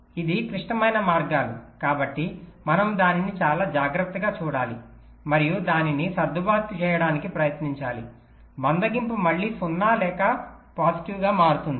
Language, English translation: Telugu, because it is the critical paths, we have to look at it very carefully and try to adjust its so that the slack again becomes zero or positive